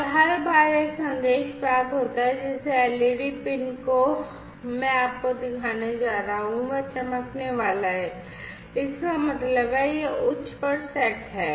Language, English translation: Hindi, And every time a message is received, the led pin that I am going to show you is going to glow; that means, it is set to high and